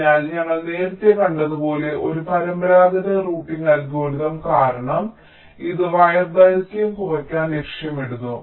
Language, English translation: Malayalam, ok, so because, ah, traditional routing algorithm, as we have seen earlier, it aims to minimize wire length